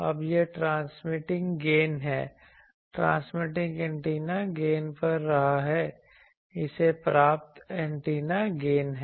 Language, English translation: Hindi, Now this is transmitting gain transmitting antennas gain this is received antennas gain